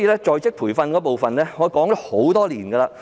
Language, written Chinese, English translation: Cantonese, 在職培訓方面，我已提出意見多年。, Speaking of on - the - job training I have put forth my views over all these years